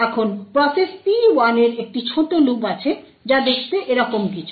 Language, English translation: Bengali, Now, process P1 has a small loop which looks something like this